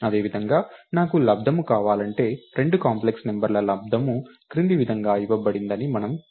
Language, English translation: Telugu, the product, so we know that product of two complex numbers is given as follows